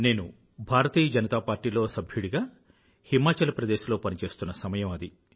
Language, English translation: Telugu, I was then a party worker with the Bharatiya Janata Party organization in Himachal